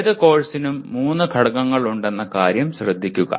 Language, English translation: Malayalam, Note that there are three elements of any course